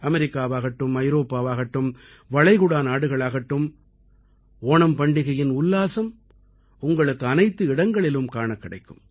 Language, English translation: Tamil, Be it America, Europe or Gulf countries, the verve of Onam can be felt everywhere